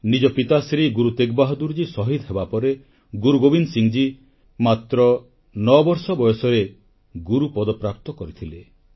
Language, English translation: Odia, After the martyrdom of his father Shri Guru TeghBahadurji, Guru Gobind Singh Ji attained the hallowed position of the Guru at a tender ageof nine years